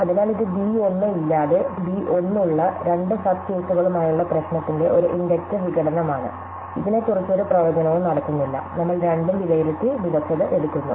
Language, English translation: Malayalam, So, this is an inductive decomposition of the problem with two sub cases with b 1 without b 1, we are not making any predictions about which is better, we evaluate both and take the better one